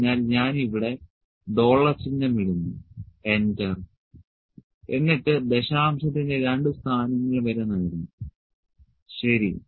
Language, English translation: Malayalam, So, let me just put dollar sign here enter and up to two places of decimal, ok